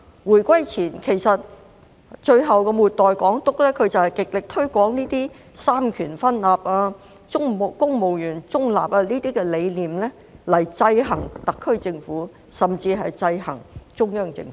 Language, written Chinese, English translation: Cantonese, 回歸前，其實末代港督就是極力推廣這些三權分立、公務員中立等理念來制衡特區政府，甚至是制衡中央政府。, Before reunification the last Governor actually promoted vigorously such concepts of separation of powers and neutrality of the civil service with a view to keeping a check and balance on the SAR Government and even on the Central Government